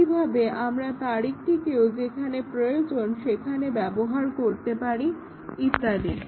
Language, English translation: Bengali, Similarly, we can use the date wherever it is needed and so on